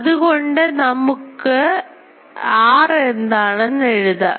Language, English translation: Malayalam, So, I can write it in terms of that and this r dash also